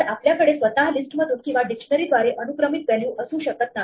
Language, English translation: Marathi, So, we cannot have a value indexed by a list itself or by a dictionary